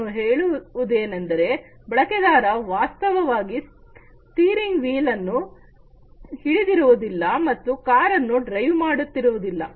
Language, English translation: Kannada, I mean not actually holding the user is not actually holding the steering wheel and he is not driving the car